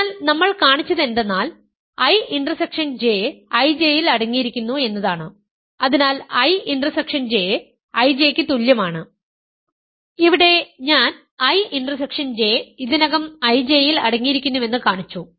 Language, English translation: Malayalam, So, what we have shown is that, in I intersection J is contained in I J and hence I intersection J is equal to I J, here I showed that I intersection J is already contained in I J